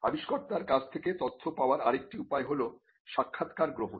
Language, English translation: Bengali, Another way to get information from the inventor is, by interviewing the inventor